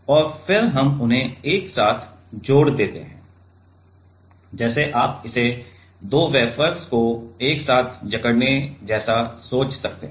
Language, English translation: Hindi, And then we just join them together let us you can think it like clamping two wafers together